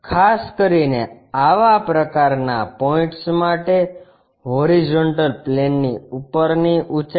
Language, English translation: Gujarati, Especially, height above horizontal plane for such kind of points